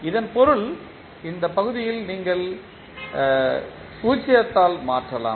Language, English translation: Tamil, It means that this particular section you can replace by 0